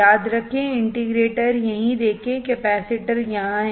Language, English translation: Hindi, Remember, see the integrator right here, the capacitor is here